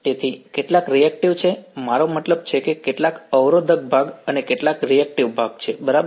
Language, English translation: Gujarati, So, there is some reactive I mean some resistive part and some reactive part ok